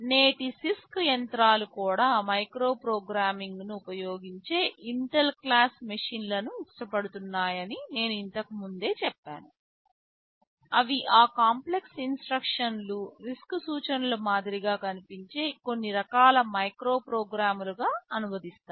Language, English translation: Telugu, Now I told earlier that even the CISC machines of today like the Intel class of machines they use micro programming, they translate those complex instructions into some kind of micro programs simpler instructions whichthat look more like the RISC instructions